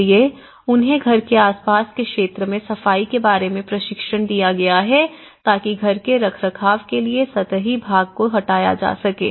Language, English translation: Hindi, So, they have been got training on the cleaning the area around the house removing superficial run off water, house maintenance